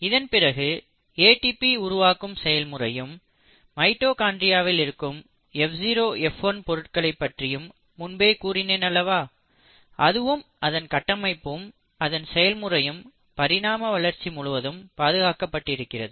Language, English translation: Tamil, Then the ATP synthesising machinery; remember we spoke about the F0 F1 particle in the mitochondria, its architecture and its mode of action is fairly conserved across evolution